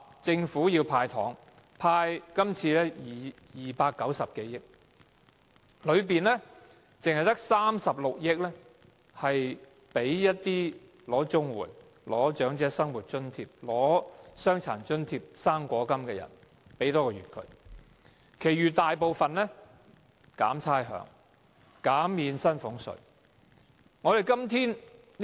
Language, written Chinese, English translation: Cantonese, 政府說要"派糖"，今年派290多億元，當中只有36億元用作派發多1個月的綜合社會保障援助、長者生活津貼、傷殘津貼和"生果金"，其餘大部分用來寬免差餉、減免薪俸稅。, The Government said that it would hand out candies worth more than 29 billion this year of which only 3.6 billion will be used to provide an extra allowance to social security recipients equal to one month of the standard rate Comprehensive Social Security Assistance payments Old Age Living Allowance Disability Allowance and fruit grant while the remaining amount will be used for waiving rates and reducing salaries tax